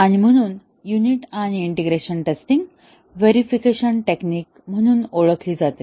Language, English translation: Marathi, And therefore, the unit and integration testing are known as verification techniques